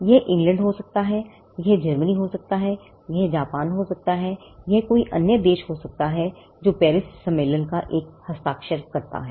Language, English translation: Hindi, It could be England, it could be Germany, it could be Japan, it could be any other country which is a signatory to the Paris convention